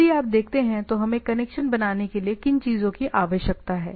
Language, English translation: Hindi, So, if you see, what we require to make a connection establish